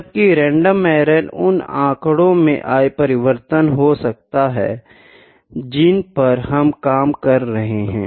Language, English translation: Hindi, So, random error is due to the statistical variation, statistical variation which we work on